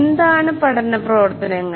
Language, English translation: Malayalam, What are learning activities